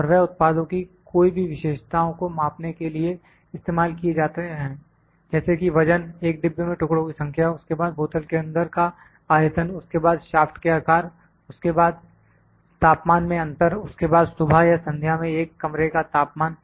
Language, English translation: Hindi, And they can be used to measure any characteristic of products such as weight, number of pieces in a box, then volume in a bottle, then sizes of the shafts, then the temperature differences, then the temperature in a room in the morning or in the evening